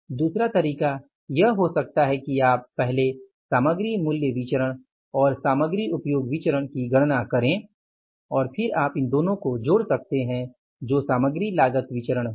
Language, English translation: Hindi, Second way it could be that you can calculate first the material price variance and the material usage variance and then you sum these two up and it will become the material cost variance